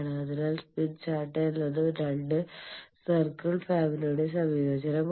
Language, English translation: Malayalam, So, smith chart is superposition of two families of circles